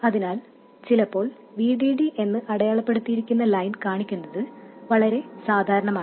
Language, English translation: Malayalam, So it is quite common to show sometimes just a line that is marked VD